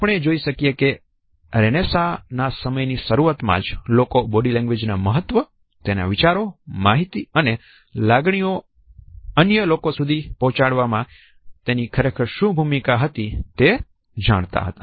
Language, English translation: Gujarati, So, we can see that as early as the renaissance time people were aware of the significance of body language and what exactly was their role in communicating ideas, information and emotions to others